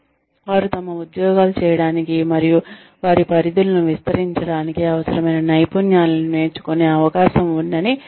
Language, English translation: Telugu, With the aim of ensuring, they have the opportunity, to learn the skills, they need, to do their jobs, and expand their horizons